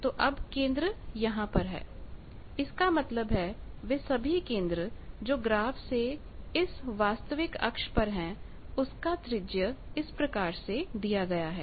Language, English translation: Hindi, That means, all the centers they are on this real axis of the graph and the radius is given by this